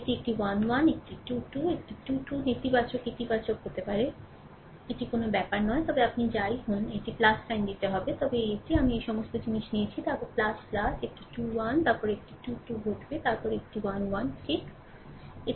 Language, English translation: Bengali, This a 1 1, a 2 2, a 3 3 may be negative positive, it does not matter, but whatever it is you have to take plus sign then this this one, that is all this things I have taken then plus your plus your a 2 1, then a 3 2 happen then a 1 3, right